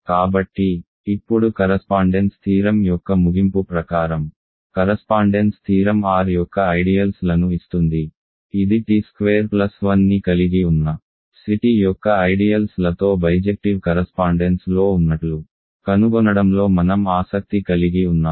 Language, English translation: Telugu, So, now the conclusion of the correspondence theorem says that, correspondence theorem gives ideals of R which is what we are interested in finding are in bijective correspondence with ideals of C t that contain t squared plus 1 right